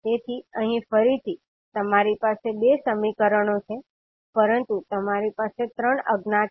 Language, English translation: Gujarati, So here again, you have 2 equations, but you have 3 unknowns